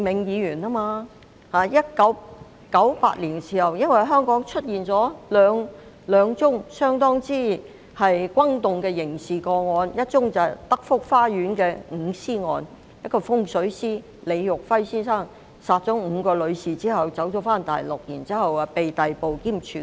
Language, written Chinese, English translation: Cantonese, 在1998年，香港出現兩宗相當轟動的刑事案件，一宗是德福花園的五屍案，一名風水師李育輝先生殺害5名女士後逃往大陸，然後被逮捕兼處決。, In 1998 Hong Kong was shocked by two criminal cases that caused quite a stir . One of them was the murder of five persons in Telford Gardens which involved Mr LI Yuhui a feng shui master who had killed five women before fleeing to the Mainland where he was later arrested and executed